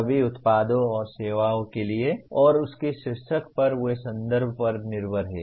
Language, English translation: Hindi, For all products and services and on top of that they are context dependent